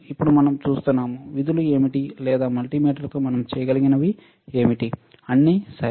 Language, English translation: Telugu, Now, we will see what are the functions or what are the things that we can do with a multimeter, all right